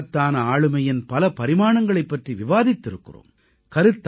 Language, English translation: Tamil, We have talked about the many dimensions of his great personality